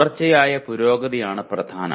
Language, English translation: Malayalam, What is important is continuous improvement